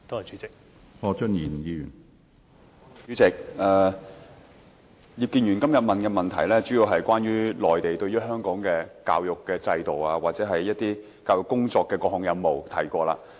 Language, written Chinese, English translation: Cantonese, 主席，葉建源議員今天的質詢，主要是關於內地對於香港的教育制度或一些教育工作的各項任務，這些已經提過。, President the question of Mr IP Kin - yuen today is mainly about the various tasks assigned by the Mainland in respect of the education system or the work on the education in Hong Kong and this part has been mentioned